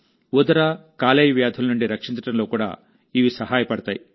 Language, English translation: Telugu, Along with that, they are also helpful in preventing stomach and liver ailments